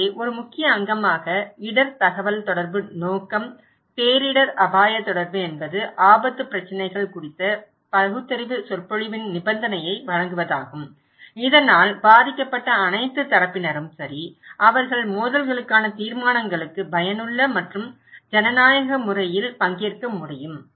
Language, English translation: Tamil, So, one of the key component, objective of risk communication, disaster risk communication is to provide a condition of rational discourse on risk issues, so that all affected parties okay they can take part in an effective and democratic manner for conflict resolutions